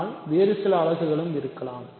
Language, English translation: Tamil, But, maybe some other units also exist